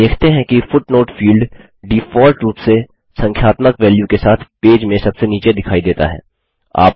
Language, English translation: Hindi, You see that a footnote field appears at the bottom of the page with default numerical value